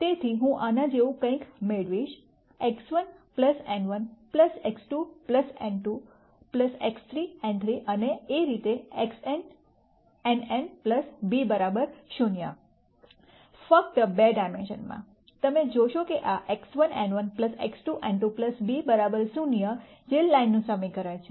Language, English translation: Gujarati, So, I will get something like X 1 n 1 plus X 2 n 2 plus X 3 n 3 and so on X n n n plus b equals 0 in just two dimensions, you will see that this is X 1 n 1 plus X 2 n 2 plus b equals 0 which is an equation of line